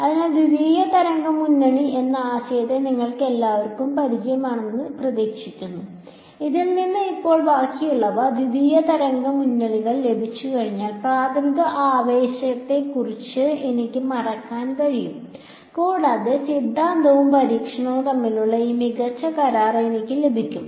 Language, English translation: Malayalam, So, hopefully this is familiar to all of you the idea of a secondary wave front from which now the rest of the, once I get the secondary wave fronts I can forget about the primary excitation and I get this excellent agreement between theory and experiment to explain the interference ok